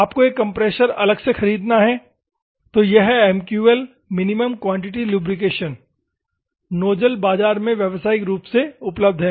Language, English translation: Hindi, You have to purchase a compressor, then these are these MQL that is Minimum Quantity Lubrication nozzles are commercially available in the market